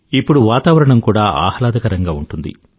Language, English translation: Telugu, The weather too these days is pleasant